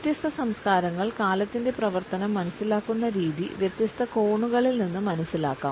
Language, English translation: Malayalam, The way different cultures understand the function of time can be understood from several different angles